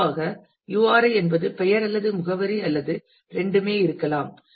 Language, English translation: Tamil, And URI in general could be either the name or the address or both of them